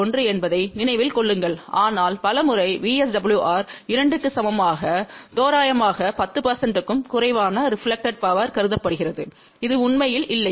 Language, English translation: Tamil, 1, but many times VSWR equal to 2 is approximately considered as reflected power less than 10 percent which is not really the case